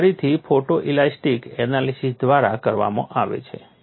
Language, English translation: Gujarati, This is again then by photo elastic analysis